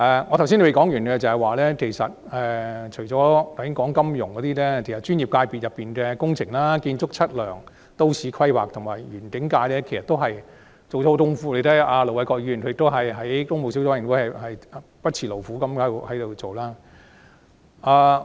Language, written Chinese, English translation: Cantonese, 我剛才尚未說完，除了金融界外，專業界別中的工程界及建築、測量、都市規劃及園境界其實也下了很多工夫，而大家也看到盧偉國議員在工務小組委員會不辭勞苦。, Apart from the financial sector the Architectural Surveying Planning and Landscape sector as one of the professional sectors has actually put in a great deal of efforts and the untiring and conscientious work of Ir Dr LO Wai - kwok in the Public Works Subcommittee is seen by all